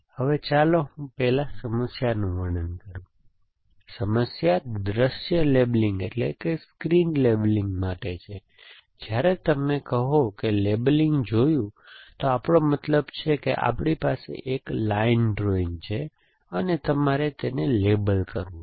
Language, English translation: Gujarati, So, let me first describe the problem, the problem is for scene labeling and when you say seen labeling we mean that we have a line drawing to available to us and you must label it is essentially